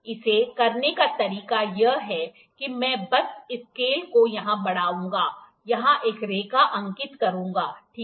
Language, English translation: Hindi, The way to do it is, I will just extend this scale here, mark a line here, I will mark a line here, ok